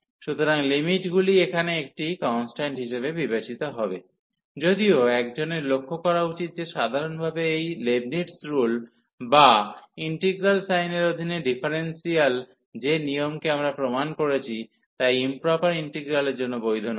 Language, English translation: Bengali, So, the limits will be treated as a constant here though one should note that in general this Leibnitz rule or the differentiation under integral sign, which the rule we have proved that is not valid for improper integrals